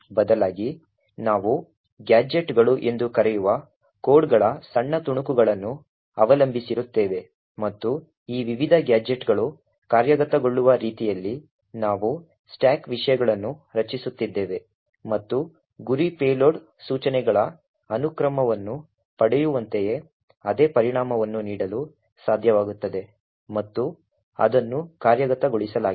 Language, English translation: Kannada, But rather, we are depending on small snippets of codes which we call gadgets and we are creating these the stack contents in such a way that these various gadgets execute and are able to give the same effect as having a sequence of the target payload instructions getting executed